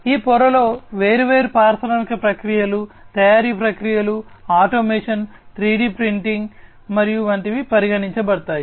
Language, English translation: Telugu, So, different industrial processes in this layer will be considered like manufacturing processes, automation, 3D printing, and so on